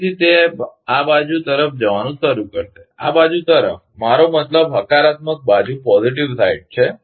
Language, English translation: Gujarati, Again, it will start moving toward this side, toward this side I mean positive side